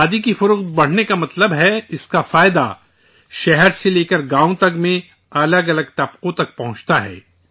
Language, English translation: Urdu, The rise in the sale of Khadi means its benefit reaches myriad sections across cities and villages